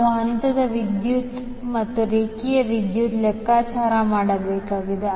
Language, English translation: Kannada, We need to calculate the phase currents and line currents